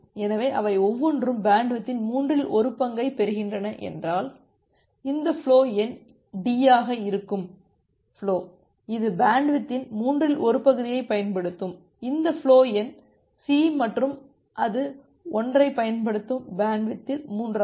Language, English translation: Tamil, So, each of them will get one third of the bandwidth if they are getting one third of the bandwidth, the flow which is this flow number D, it will use one third of the bandwidth, this flow number C and it will use the one third of the bandwidth